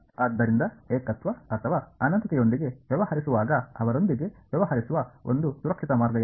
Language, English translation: Kannada, So, when dealing with singularities or infinities what is the one safe way of dealing with them